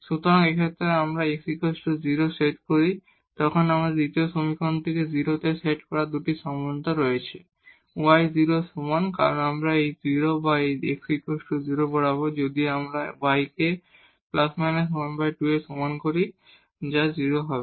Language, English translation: Bengali, So, in this case, when we set x 0 there we have 2 possibilities from the second equation to set to 0; either y is equal to 0, we will make this 0 or along with this x is equal to 0, if we take y is equal to plus half or minus half that will also be 0